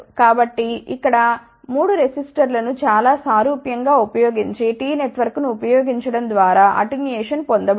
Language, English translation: Telugu, So, here the attenuation has been obtained by using T Network using 3 resistors in a very similar way